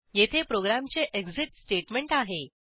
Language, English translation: Marathi, Then we have the exit statement for the program